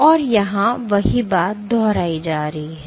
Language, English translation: Hindi, And you have the same thing repeating here